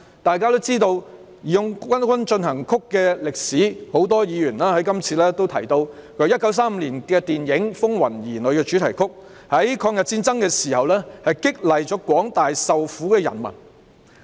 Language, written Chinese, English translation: Cantonese, 大家都知道"義勇軍進行曲"的歷史，很多議員在這次辯論中也提到，它是1935年的電影"風雲兒女"的主題曲，在抗日戰爭時期激勵了廣大受苦的人民。, All of us know the history of March of the Volunteers . During this debate many Members have mentioned that it is the theme song of the film Children of Troubled Times in 1935 . During the War of Resistance against Japanese Aggression it boosted the morale of the suffering masses